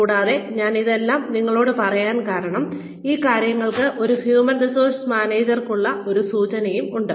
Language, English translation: Malayalam, And, I am telling you all this, because these things, have an implication for a human resources managers